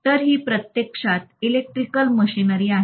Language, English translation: Marathi, So this is actually Electric Machinery